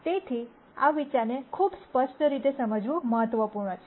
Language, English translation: Gujarati, So, it is important to understand this idea very clearly